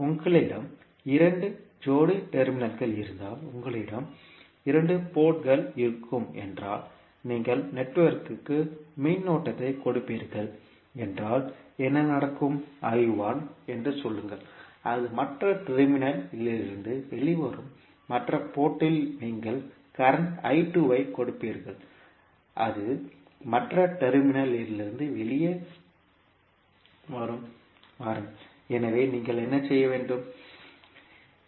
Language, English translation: Tamil, If you have pair of two terminals means you will have two ports, then what will happen that you will give current to the network say I1 and it will come out from the other terminal and at the other port you will give current I2 and it will come out from the other terminal, so what you can do you